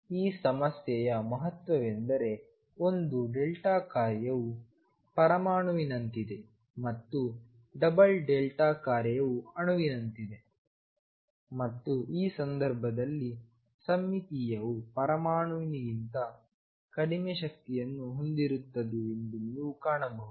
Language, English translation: Kannada, Significance of this problem is that a single delta function is like an atom and a double delta function is like a molecule and in this case, you would find that symmetric psi has energy lower than the atom